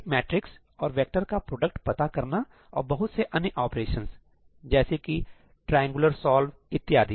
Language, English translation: Hindi, So, finding the product of a matrix and a vector and there are loads of other operations, like, triangular solve and so on